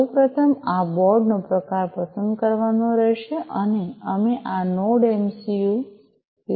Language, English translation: Gujarati, First of all the type of this board will have to be selected and we are using this Node MCU 0